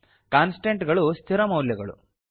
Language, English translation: Kannada, Constants are fixed values